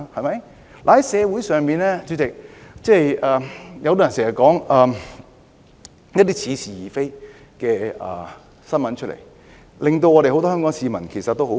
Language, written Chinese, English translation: Cantonese, 主席，社會上經常流傳一些似是而非的新聞，令很多香港市民感到氣憤。, President fake news appearing to be true is often circulated in the community arousing the anger of many people of Hong Kong